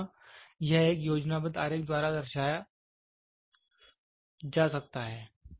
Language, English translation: Hindi, So, here this can be represented by a schematic diagram